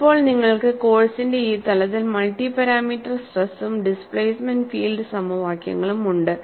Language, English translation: Malayalam, So, now you have, at this level of the course, you have multi parameter stress and displacement field equations